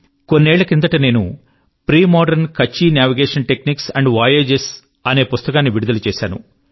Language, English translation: Telugu, A few years ago, I had unveiled a book called "Premodern Kutchi Navigation Techniques and Voyages'